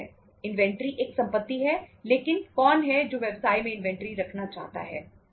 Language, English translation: Hindi, Inventory is a property but who would like to have inventory in the business